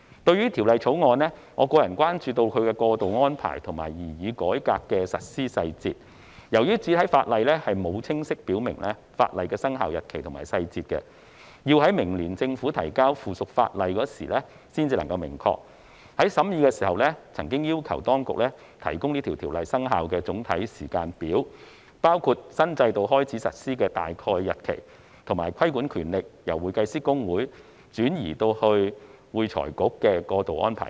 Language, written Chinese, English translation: Cantonese, 對於《條例草案》，我關注其過渡安排及擬議改革的實施細節，由於主體法例沒有清晰表明法例的生效日期及細節，要待明年政府提交附屬法例時才能明確，在審議時，委員曾經要求當局提供條例生效的總體時間表，包括新制度開始實施的大概日期，以及規管權力由會計師公會轉移至會財局的過渡安排等。, Regarding the Bill I am concerned about the transitional arrangements and implementation details of the proposed reform . As the commencement date and details of the legislation are not expressly provided in the primary legislation and will not be confirmed until the Government tables the subsidiary legislation next year members have requested the Administration during the scrutiny to provide a general timetable for the commencement of the legislation including an approximate commencement date of the new regime and transitional arrangements for the transfer of regulatory powers from HKICPA to AFRC